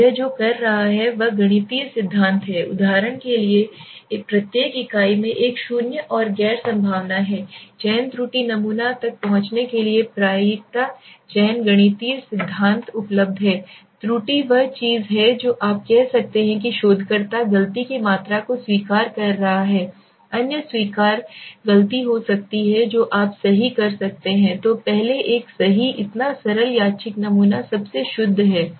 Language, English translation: Hindi, So what is doing it is mathematical theory for example each unit has a non zero and non probability selection mathematical theory is available to access the sampling error now sampling error is something which is you can say the researcher is accepting the amount of mistake that can be other allowable mistake you can say right so this are some of the things let us go to the first one right so simple random sampling is most purest